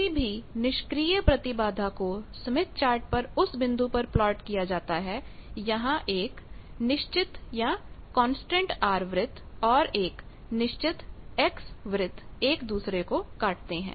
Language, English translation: Hindi, Any passive impedance can be plotted on a standard smith chart as a point of intersection between one R Fixed R circle and one fixed X circle